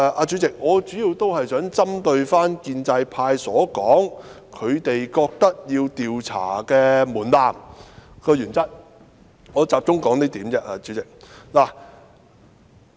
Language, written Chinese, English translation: Cantonese, 主席，我主要想針對建制派提出的一點發言，即他們認為的調查門檻和原則。, President I wish to focus my speech on a point raised by the pro - establishment camp ie . the threshold for and the principle of investigation according to them